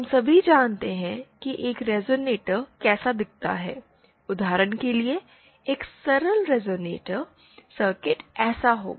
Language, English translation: Hindi, We all know what a resonator looks like, for example a simple resonator circuit would be like this